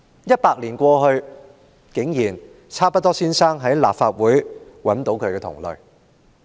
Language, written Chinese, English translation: Cantonese, 一百年過去，差不多先生竟然在立法會中找到他的同類。, A century down the line Mr Chabuduo has actually found kindred spirits in this Council